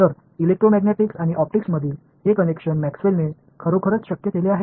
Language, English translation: Marathi, So, this connection between the electromagnetics and optics really was made possible by Maxwell